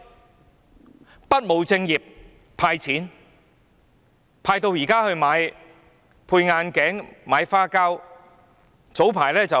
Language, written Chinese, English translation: Cantonese, 政府不務正業地"派錢"，派到現在用來配眼鏡、買花膠。, The Government has failed to attend to its own proper duties but given away cash instead